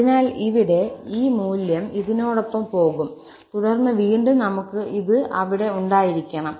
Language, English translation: Malayalam, So, here, this value will go along this and then again we have to have this again there